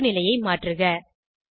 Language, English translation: Tamil, Change the orientation 3